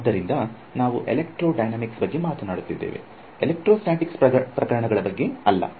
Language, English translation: Kannada, So, we are talking about electrodynamics not electrostatics cases, but a the theorem could be extended also in that case